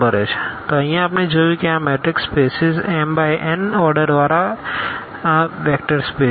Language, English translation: Gujarati, So, here what we have seen that this matrix spaces of order this m cross n is also a vector space